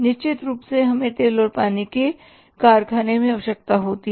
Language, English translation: Hindi, Then we have oil and water certainly we require it in the factory oil and water